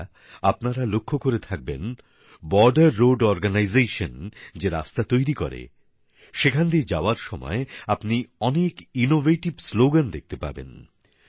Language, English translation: Bengali, you must have noticed, passing through the roads that the Border Road Organization builds, one gets to see many innovative slogans